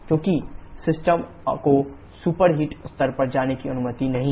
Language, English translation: Hindi, Because the system is not allowed to go to the superheated level